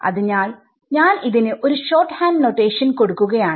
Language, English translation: Malayalam, So, we will have a shorthand notation for that also right